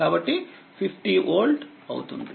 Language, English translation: Telugu, So, it will be 100 volt right